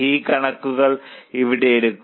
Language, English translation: Malayalam, So, take these figures here